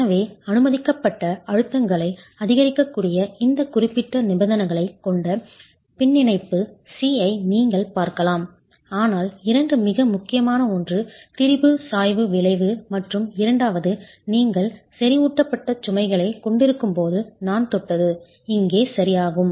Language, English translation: Tamil, So you can look at appendix C which has these specific conditions under which permissible stresses can be increased, but the two most important, the first one being the strain gradient effect and the second one being when you have concentrated loads is what I have touched upon here